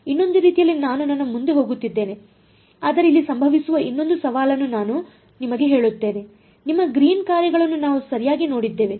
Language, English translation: Kannada, Another sort of I am getting ahead of myself, but I will tell you one other challenge that will happen over here is that your we have seen Green’s functions right